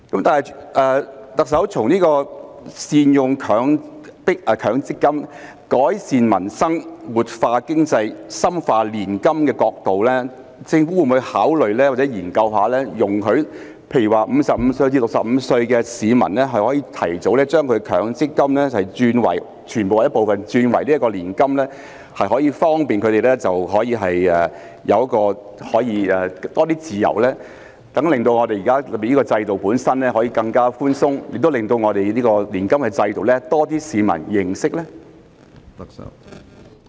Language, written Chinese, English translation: Cantonese, 特首，從善用強積金、改善民生、活化經濟、深化年金的角度，政府會否考慮或研究容許55歲至65歲的市民可以提早將強積金的全部或部分轉為年金，方便他們有更多自由，令現在的制度更寬鬆，亦令年金制度有更多市民認識？, Chief Executive from the perspective of making good use of MPF improving peoples livelihood revitalizing the economy and reinforcing annuity plans will the Government consider or study the option of allowing people aged 55 to 65 to convert all or part of their MPF benefits into annuities in advance so as to give them more leeway relax the existing regime and enhance the publics understanding of the annuity system?